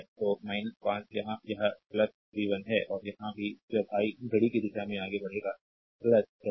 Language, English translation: Hindi, So, minus 5 here it is plus v 1, and here again also when I will moving clockwise encountering plus first